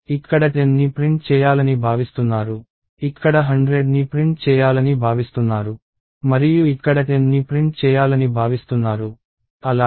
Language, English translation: Telugu, It is expected to print 10 here, it is expected to print 100 and it is expected to print 10 here, as well